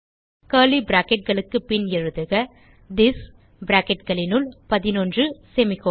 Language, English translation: Tamil, After curly brackets type this within brackets 11 and semicolon